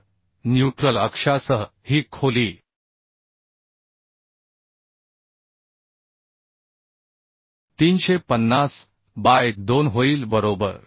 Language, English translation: Marathi, So along the neutral axis this depth will become 350 by 2